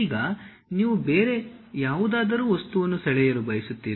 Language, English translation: Kannada, Now, you would like to draw some other object